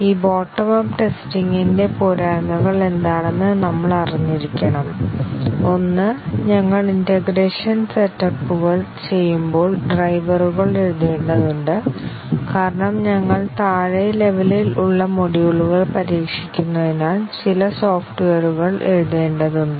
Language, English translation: Malayalam, And we need to be aware what are the disadvantages of this bottom up testing, one is that we need to have drivers written as we do integration steps, since we are testing the bottom level modules we need to have some software written which will call these modules